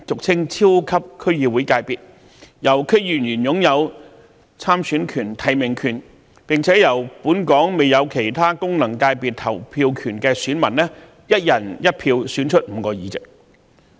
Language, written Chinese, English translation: Cantonese, 關於後者，所有區議員皆擁有參選權和提名權，並會由本港未有其他功能界別投票權的選民以"一人一票"方式選出5個議席。, With regard to the latter all DC members shall have the right to stand for election and the right to nominate candidates and the five representatives will be elected on the basis of one person one vote by voters who are not eligible for voting in other functional constituency elections